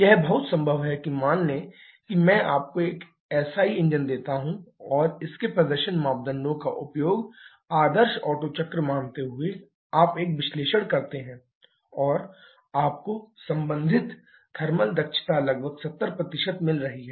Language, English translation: Hindi, It is very much possible that suppose I give you SI engine and using the performance parameters of that you do an analysis assuming and ideal Otto cycle and you are finding the corresponding thermal efficiency to be around 70 %